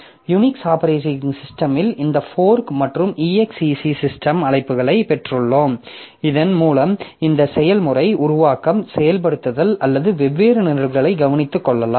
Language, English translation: Tamil, So, this way we have got this fork and execs system calls in Unix operating system by which this process creation, execution and execution of different programs can be taken care of